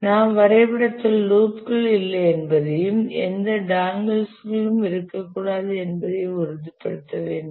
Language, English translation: Tamil, We must ensure that there are no loops in the diagram and also there should not be any dangles